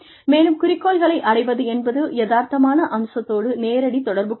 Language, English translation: Tamil, And, achievability is, directly related to, the realistic aspect